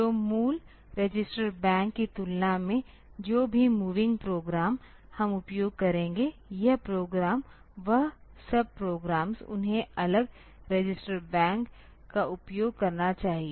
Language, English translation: Hindi, So, compared to the original register bank whatever the moving program we will use, this program the sub programs they should use the different register bank